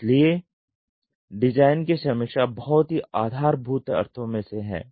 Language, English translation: Hindi, That is what is design review in a crude sense